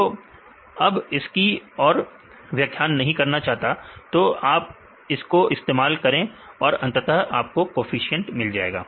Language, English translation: Hindi, So, I do not want to explain more; so, use this one and then finally, I get the coefficients